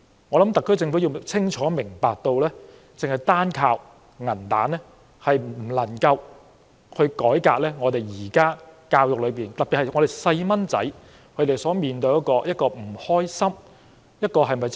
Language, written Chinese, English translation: Cantonese, 我想特區政府清楚明白，單靠"銀彈"政策，是無法改革現時教育政策下的種種流弊，特別是小孩所面對的不愉快學習的問題。, I believe the SAR Government is well aware that money alone cannot get rid of all the drawbacks of the present education policy especially the unhappy learning experiences of our children